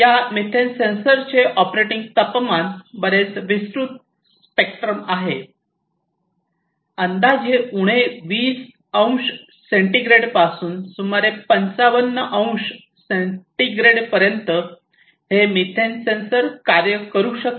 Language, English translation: Marathi, And the operating temperature of this methane sensor is quite broad spectrum; from roughly about minus 20 degrees centigrade to about plus 55 degree centigrade, this methane sensor can work